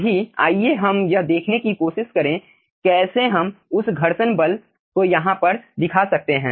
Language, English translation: Hindi, now let us try to see how we can simply that frictional force over here